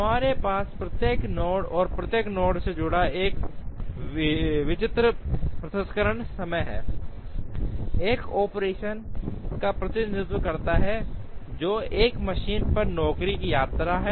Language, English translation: Hindi, We also have a certain processing time associated with each node, and each node represents an operation which is the visit of a job on a machine